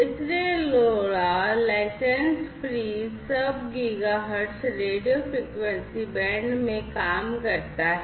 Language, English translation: Hindi, So, LoRa operates in the license free sub gigahertz radio frequency band